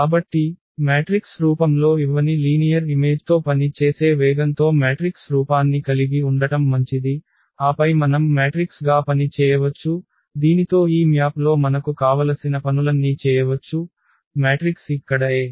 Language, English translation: Telugu, So, in speed of working with linear map which is not given in the in the form of the matrix it is better to have a matrix form and then we can work with the matrix we can do all operations whatever we want on this map with this matrix here A